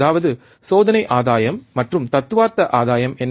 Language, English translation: Tamil, That is the experimental gain and what is the theoretical gain